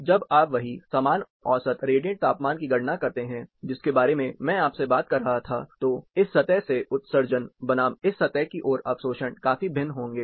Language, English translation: Hindi, So, when you do the same mean radiant temperature calculation, which I was talking to you about, then the emission from this surface versus the absorption towards this surface is going to be considerably different